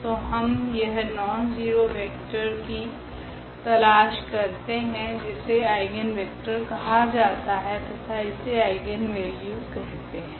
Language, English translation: Hindi, So, we are looking for the nonzero vector here which is called the eigenvector and this is called the eigenvalue ok